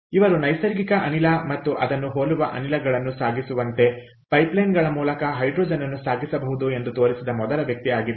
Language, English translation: Kannada, so this is the first person to such that hydrogen could be transported via pipelines likes natural gas, similar to natural gas